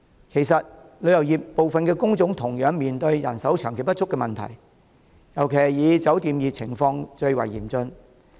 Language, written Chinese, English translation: Cantonese, 其實，旅遊業部分工種同樣面對人手長期不足的問題，尤其以酒店業的情況最為嚴峻。, As a matter of fact the tourism sector also faces chronic manpower shortage for certain types of jobs particularly the hotel industry